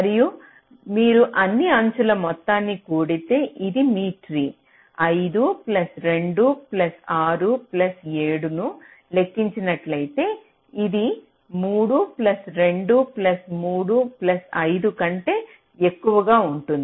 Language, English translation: Telugu, as you can see, if you compute the sum of all the edges, five plus two plus six plus seven, this will be more than three plus two plus three plus five